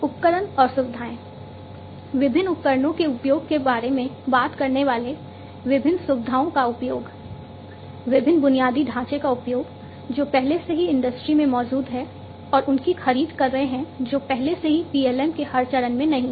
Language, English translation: Hindi, Equipment and facilities talking about the use of different equipments, use of different facilities, the use of different infrastructure, that are already existing in the in the industry and procuring the ones that are not already there in every phase of the PLM